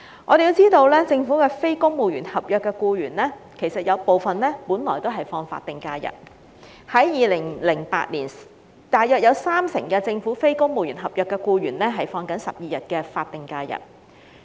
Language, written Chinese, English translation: Cantonese, 我們要知道，政府部分非公務員合約僱員原本也只是放取法定假日，在2008年大約有三成政府非公務員合約僱員放取12天的法定假日。, We should be aware that some of the Governments non - civil service contract NCSC employees were originally entitled to SHs only and about 30 % of these NCSC employees were entitled to 12 days of SHs in 2008